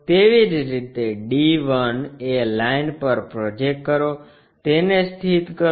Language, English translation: Gujarati, Similarly, project d 1 onto that line locate it